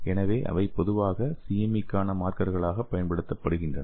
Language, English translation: Tamil, So they are commonly used as a markers for CME